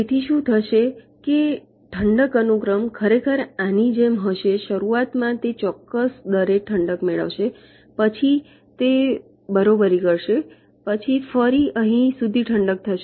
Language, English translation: Gujarati, so what will happen is that the cooling sequence will actually the like this: initially it will be cooling at a certain rate, then it will be leveling up, then again it will cooling until here